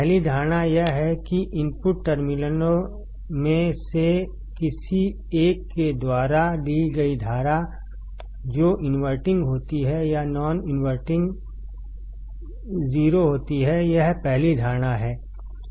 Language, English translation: Hindi, The first assumption is that the current drawn by either of the input terminals which is the inverting or non inverting is 0; this is the ese are first assumption